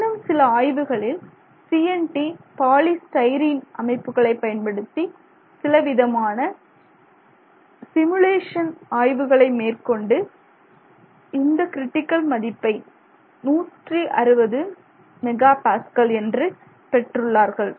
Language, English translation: Tamil, And then yet another group has done some experiments using a CNT polystyrene system using some simulation, simulation kind of work has been done, they are getting a value of 160 MPA